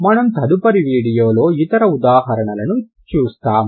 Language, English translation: Telugu, We will see the other cases in the next video